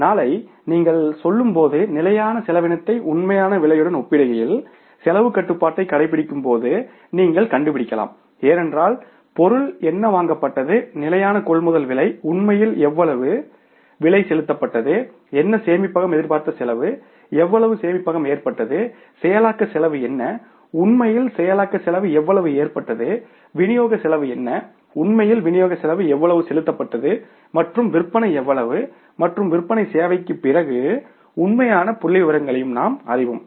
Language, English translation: Tamil, And tomorrow when you go for the say exercising the cost control comparing the standard cost with the actual cost you can find out because you know what was the purchase standard purchase price of the material how much price actually has been paid what was the storage expected cost how much storage cost has incurred what was the processing cost how much actually processing cost has incurred what was the distribution cost has been paid and how much was the sales and after sales service we know it in advance we know the know the actual figures also, you know, exactly you know that at what level the cost has gone up